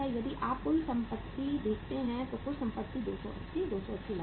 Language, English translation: Hindi, If you see the total assets here, total assets are 280, Rs